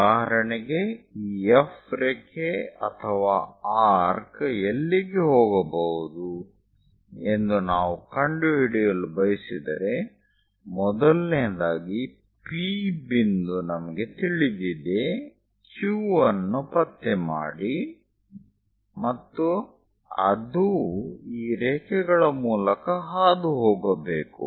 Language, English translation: Kannada, So, for example, if I want to figure it out where this F line or arc might be going; first of all P point is known, locate Q, and it has to pass through these lines